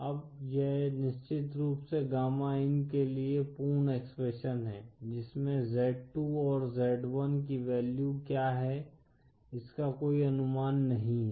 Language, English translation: Hindi, Now this is of course the complete expression for gamma in with no assumptions with what the values of z2 & z1 are